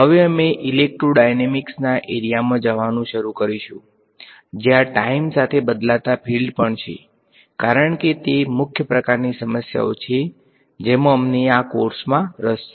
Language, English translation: Gujarati, Now, we will begin to move into the area of electrodynamics, where there is a time varying field as well because that is the main kind of problems that we are interested in this course